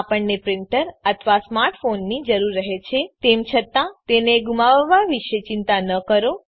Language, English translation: Gujarati, One needs a printer or a smart phone however, no worry about losing it